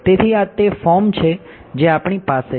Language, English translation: Gujarati, So, this is the form that we have right